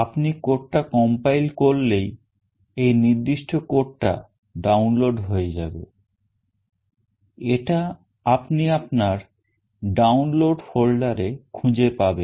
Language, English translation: Bengali, Once you compile the code this particular code gets downloaded, you can find this in your download folder